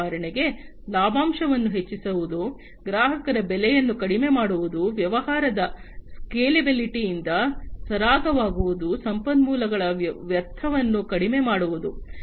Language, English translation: Kannada, You know for example, increasing the profit margin, reducing the price of the customers, easing out of the scalability of the business, reducing the wastage of resources